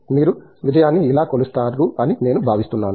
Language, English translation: Telugu, I think that is how you measure success